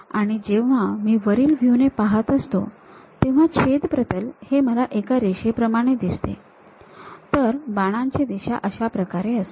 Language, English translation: Marathi, And, when I am looking from top view it looks like there is a cut plane like a line, there will be arrow direction in this way